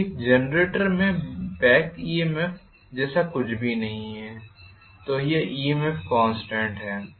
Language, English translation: Hindi, No problem because in a generator there is nothing like back EMF so it is the EMF constant,right